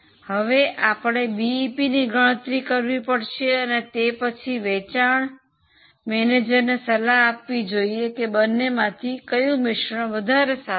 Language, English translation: Gujarati, Now, the question was, firstly to calculate the BEPs and then advise sales manager as to which of the two mix is better